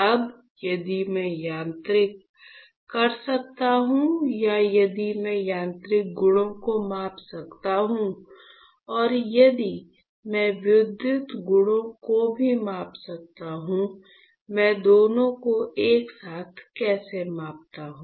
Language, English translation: Hindi, Now, if I can do mechanical or if I can measure the mechanical properties and if I can also measure the electrical properties; how about I measure both simultaneously